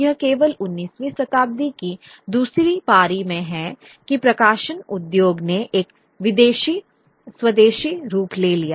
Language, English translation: Hindi, It was only in the second half of the 19th century that public industry, publishing industry, took an indigenous form